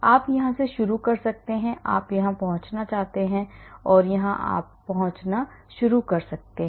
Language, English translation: Hindi, You may be starting from here you want to reach here you may be starting from here you want to reach there